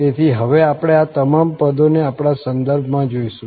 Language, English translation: Gujarati, So, all these terms we have now see in our context